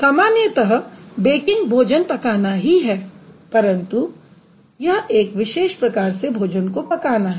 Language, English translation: Hindi, Primarily baking is cooking but this is a specific kind of cooking